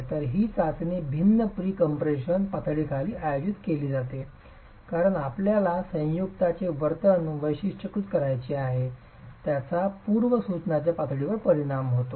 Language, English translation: Marathi, So this test is conducted under different pre compression levels because you want to characterize the behavior of the joint